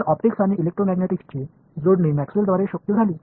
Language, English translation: Marathi, So, the linking of optics and electromagnetics was made possible by Maxwell